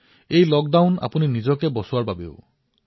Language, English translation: Assamese, This lockdown is a means to protect yourself